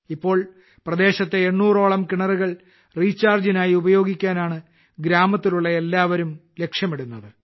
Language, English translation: Malayalam, Now all the villagers have set a target of using about 800 wells in the entire area for recharging